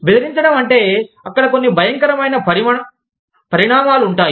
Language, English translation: Telugu, Threatening means, there are dire consequences